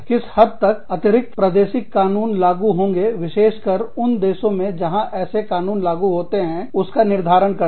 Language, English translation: Hindi, Determining the extent to which, extra territorial laws apply, especially for countries, that have enacted, such laws